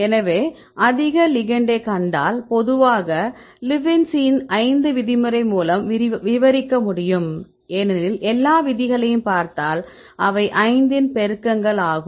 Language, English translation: Tamil, So, if you see higher ligand generally it can be described with Lipinsi’s rule of 5 right because if you see all the rules and the all the rules are the multiples of 5